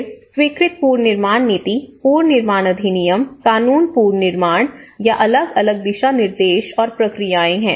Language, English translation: Hindi, Then, Approved Reconstruction Policy, Reconstruction Act, Reconstruction Bylaws or different guidelines and procedures